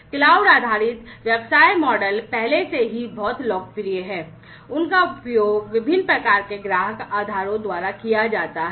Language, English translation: Hindi, So, cloud based business models are already very popular, they are used by different types of customer bases